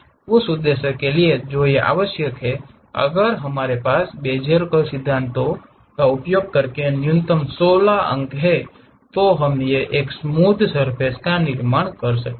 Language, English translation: Hindi, For that purpose what we require is, if we have minimum 16 points by using these Bezier curves principles, one can construct this one a smooth surface